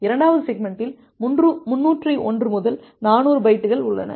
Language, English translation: Tamil, And the second segment contains bytes 301 to 400